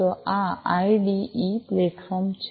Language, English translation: Gujarati, So, this is this IDE platform